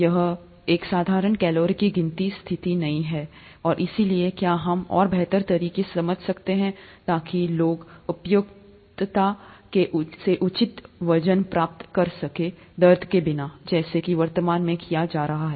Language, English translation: Hindi, It's not a simple calorie counting kind of a situation here, and therefore can we understand that a lot better and so, so as to reproducibly get people to their appropriate weight without a lot of pain, as it is currently being done